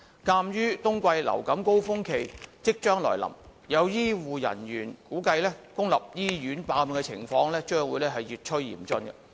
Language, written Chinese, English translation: Cantonese, 鑒於冬季流感高峰期即將來臨，有醫護人員估計公立醫院爆滿的情況將會越趨嚴峻。, Given that the winter surge of influenza will soon arrive some healthcare personnel have anticipated that the overcrowding situation in public hospitals will worsen